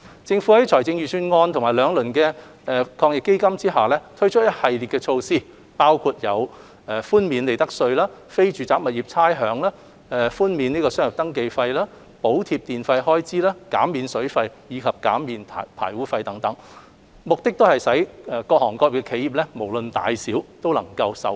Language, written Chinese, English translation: Cantonese, 政府在財政預算案及兩輪防疫抗疫基金下推出一系列措施，包括寬免利得稅、非住宅物業差餉和商業登記費、補貼電費開支、減免水費及排污費等，目的是令企業無論大小都能受惠。, The Government has announced a series of measures in the Budget and the two rounds of AEF including waiving of profits tax rates for non - domestic properties and business registration fees; subsidizing electricity charges; and reduction of water and sewage charges etc . These measures aim to benefit enterprises from different sectors and of all sizes